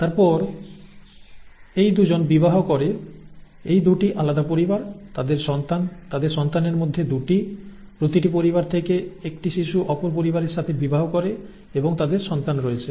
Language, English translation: Bengali, Then these 2 marry, these are 2 different families, their children, the 2 among their children, each one, a child from each family marries the other and they have children